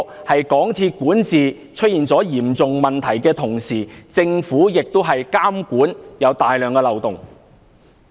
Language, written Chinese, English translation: Cantonese, 在港鐵管治出現嚴重問題的同時，政府的監管亦有大量漏洞。, While there are serious problems with MTRCLs governance it can be seen that there are also plenty of loopholes in the Governments supervision